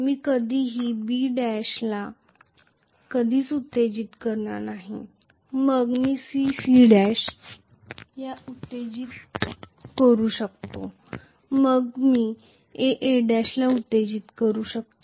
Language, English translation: Marathi, Never ever I will only excite B B dash then I may excite C C dash then I may excite A A dash